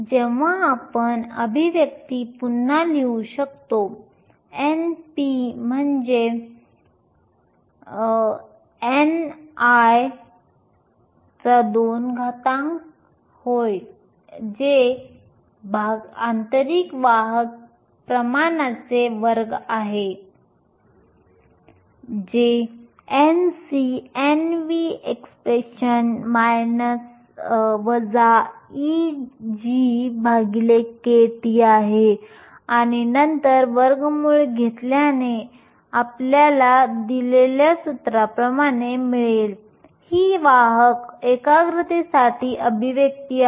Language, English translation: Marathi, When we can rewrite the expression n p is nothing, but n i square which is the square of the intrinsic carrier concentration that is equal n c nv exponential minus e g over kT and then taking square root you get n i square root of n c n v exponential minus e g over 2 kT, this is expression for the carrier concentration